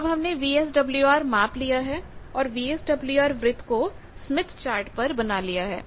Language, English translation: Hindi, Now VSWR circle we have plotted on the Smith Chart